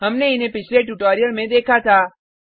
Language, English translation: Hindi, We saw them in the previous tutorial